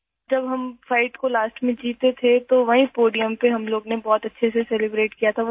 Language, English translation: Urdu, When we won the fight at the end, we celebrated very well on the same podium